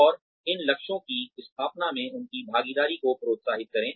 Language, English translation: Hindi, And, encourage their participation, in setting of these goals